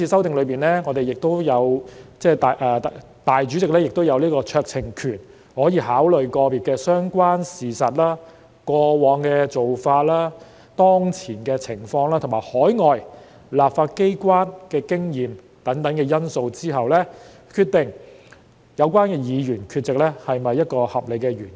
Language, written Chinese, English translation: Cantonese, 當然，在今次修訂中，立法會主席亦擁有酌情權，可在考慮個別個案的相關事實、過往做法、當前情況及海外立法機關的經驗等因素後，決定有關議員缺席是否有合理原因。, Certainly under the present amendment the President of the Legislative Council has the discretion to decide whether the absence of the Member concerned is due to valid reasons taking into consideration the relevant facts of individual cases past practices prevailing circumstances and experience of overseas legislatures etc